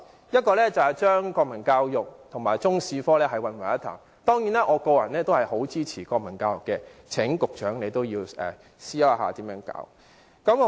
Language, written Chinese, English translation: Cantonese, 其一是將國民教育和中史科混為一談，當然，我個人非常支持推行國民教育，亦請局長思考應如何進行。, A case in point is mixing up national education with Chinese History . Surely I personally strongly support the implementation of national education and would like to invite the Secretary to consider how the matter should be taken forward